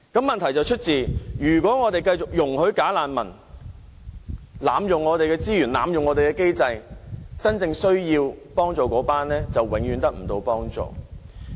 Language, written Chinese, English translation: Cantonese, 問題是，如果我們繼續容許"假難民"濫用本港的資源和機制，則真正需要幫助的人便永遠得不到幫助。, The problem is if we continue to allow bogus refugees to abuse the resources and unified screening mechanism of Hong Kong then those in genuine need will never have any hope of receiving help